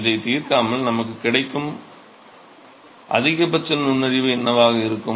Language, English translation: Tamil, Without solving what is the maximum piece of insight that we get